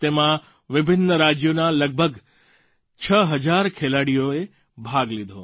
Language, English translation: Gujarati, These games had around 6 thousand players from different states participating